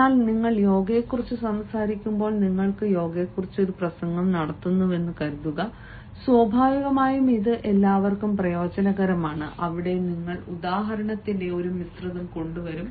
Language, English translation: Malayalam, but when you are talking about, say, yoga suppose you are giving a talk on yoga naturally it is very visual to everyone and there you have to bring the sort of mix of the example so that everyone likes it